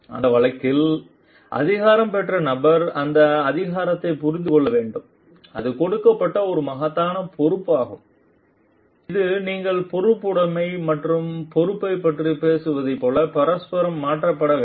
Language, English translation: Tamil, And in that case the person who is empowered needs to understand this authority is an immense responsibility that is given that needs to be reciprocated by like when you talk of accountability and responsibility